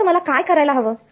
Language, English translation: Marathi, So, what would I do